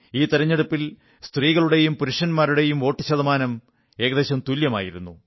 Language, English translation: Malayalam, This time the ratio of men & women who voted was almost the same